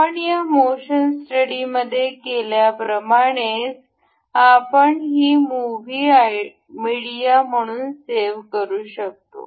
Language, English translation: Marathi, Similar to like that we have done in this motion study, we can also save this movie as a media